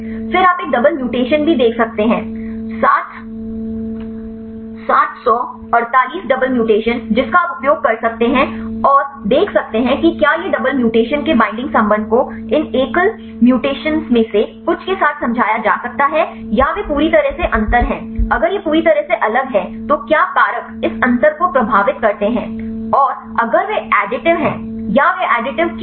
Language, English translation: Hindi, Then also you can see a double mutation 748 the double mutations you can use and see whether the binding affinity of a double mutation can be explained with the some of these single mutations or they are totally difference if it is totally different what factors influence this difference and if is additive or why they are additive